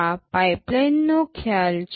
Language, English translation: Gujarati, This is the concept of pipeline